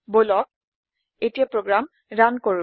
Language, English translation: Assamese, Let us Run the program now